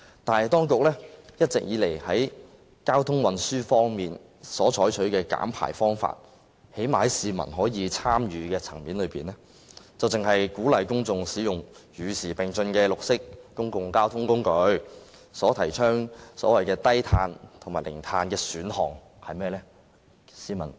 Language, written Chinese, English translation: Cantonese, 但是，當局在交通運輸方面一直採取的減排方法——最少在市民可以參與的層面上——只是鼓勵公眾使用與時並進的綠色公共交通工具，提倡所謂低碳和零碳的選項，是甚麼呢？, However all along the method adopted by the authorities in transport for emission reduction―at least at the level of public engagement―is merely to encourage the public to use green public transport kept abreast of the times and advocate the so - called option of low - carbon or zero - carbon emission . What is it?